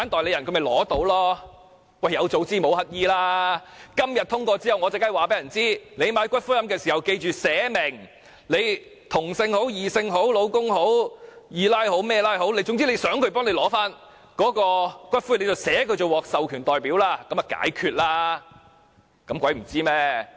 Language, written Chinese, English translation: Cantonese, "有早知無乞兒"，今天通過修正案後，我當然會叫人購買骨灰龕位時記得寫明，無論是同性、異性、丈夫、"二奶"等關係，總之想誰領取骨灰，便寫明他為獲授權代表，這樣已可解決問題。, Of course after the passage of the Bill today I will tell people to nominate authorized representatives to claim the ashes when purchasing columbarium niches whether they are of the same sex or of the opposite sex husbands or mistresses